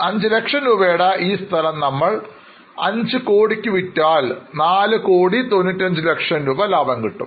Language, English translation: Malayalam, So, 5 lakh rupees land if we sell in 5 crore, we will make a profit of 4